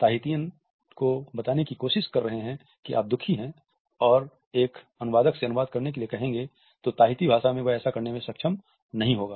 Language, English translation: Hindi, In Tahiti, if you are trying to tell a Tahitian that you are sad and ask a translator to translate that into Tahitian, they will not be able to do so, as there is no word for sadness in the Tahitian language